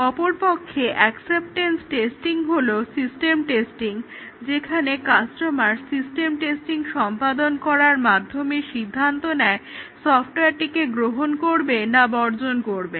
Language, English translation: Bengali, Whereas acceptance testing is the system testing, where the customer does the system testing to decide whether to accept or reject the software